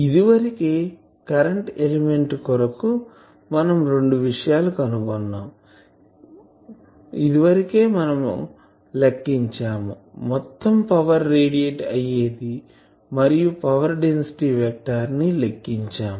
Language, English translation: Telugu, Already because for current element , this two things , we know we have already calculated the total power radiated we have already found out the power density vector